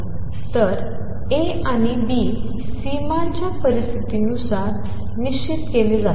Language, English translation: Marathi, So, A and B are fixed by the boundary conditions